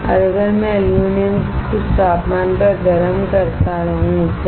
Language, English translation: Hindi, If I keep on heating the aluminum at some temperature, right